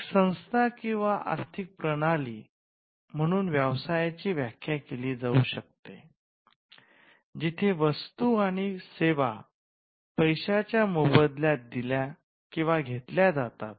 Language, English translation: Marathi, A business can be defined as, an organization or an economic system, where goods and services are exchanged for one another of money